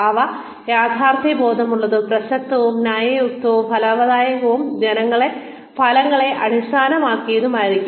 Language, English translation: Malayalam, They should be realistic, relevant, reasonable, rewarding, and results oriented